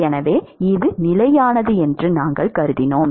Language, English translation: Tamil, So, we have assumed that it is constant